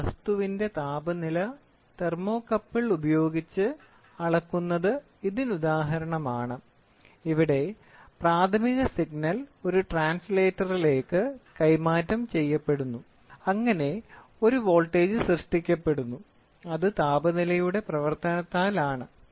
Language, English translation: Malayalam, The measurement of temperature of an object by thermocouple, the primary signal is transmitted to a translator which generates a voltage which is a function of temperature